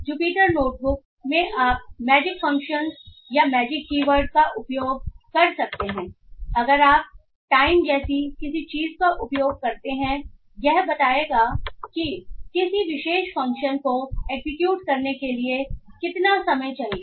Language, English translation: Hindi, So, in Jupyter notebook you can use magic functions or magic keywords where if you use something like time it will tell how much time it requires to execute a particular function